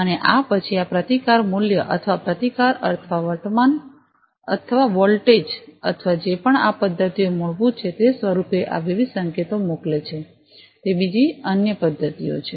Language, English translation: Gujarati, And these then basically sent these different signals, in the form of resistance value or resistance or current or voltage or whatever these methods basically are they different other methods